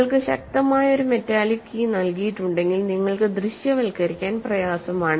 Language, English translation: Malayalam, If you are given a strong metallic key, it is difficult for you to visualize